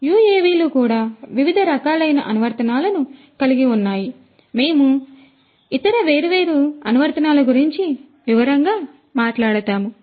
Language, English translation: Telugu, UAVs likewise have different different types of applications we will talk about the different other applications in detail